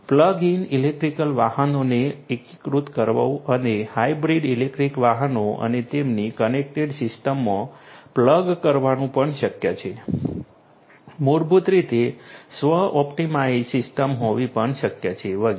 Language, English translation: Gujarati, It is also possible to integrate plug in electric vehicles and plug in hybrid electric vehicles and their connected systems, it is also possible to basically have a self optimized system and so on